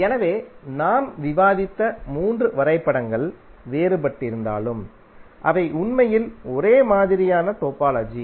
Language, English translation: Tamil, So although the three graphs which we discussed are different but they are actually the identical topologies